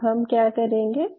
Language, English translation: Hindi, So, then what you can do